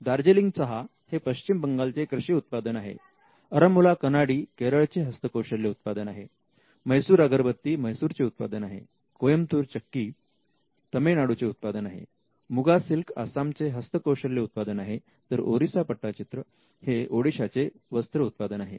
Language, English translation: Marathi, Some registered GI is include Darjeeling tea, which is an agricultural product belonging to West Bengal, Aranmula Kannadi which is a handicraft product from Kerala, Mysore Agarbathi which is a manufactured product, Coimbatore wet grinder again a manufactured product from Tamilnadu, Muga silk of Assam again a handicraft from Assam, Orissa pattachitra which is a textile product from Odisha